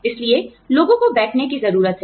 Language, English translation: Hindi, So, people need to sit down